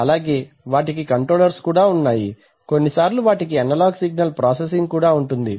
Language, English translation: Telugu, So they have their own sensors, they also have controllers sometimes they have some analog signal processing